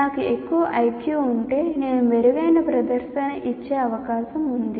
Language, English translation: Telugu, If I have higher Q, I am likely to get, I am likely to perform better